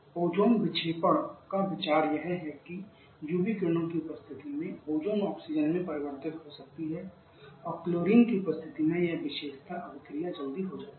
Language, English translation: Hindi, The idea ozone deflection is that when the in presence of UV rays the Ozone can get converted to Oxygen and this particular reaction gets quick and up by the presence of chlorine